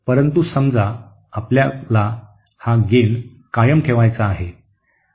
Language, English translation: Marathi, But suppose we want to keep the gain constant